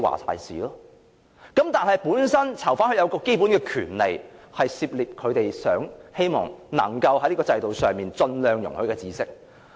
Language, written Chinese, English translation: Cantonese, 可是，囚犯本身有基本權利，可以涉獵他們希望能夠在這個制度上盡量容許的知識。, However inmates should have the basic rights to acquire any knowledge permitted under the system